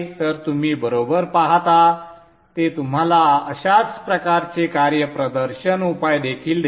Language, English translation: Marathi, So you would see that it gives you also similar kind of performance measures